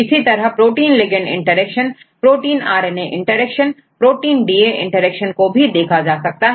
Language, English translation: Hindi, Likewise, you can see the protein ligand interactions, protein RNA interactions, protein DNA interactions all these 3 you can do